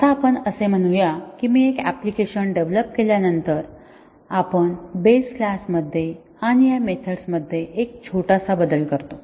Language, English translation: Marathi, Now, let us say after I have developed an application, we make a small change to this method in the base class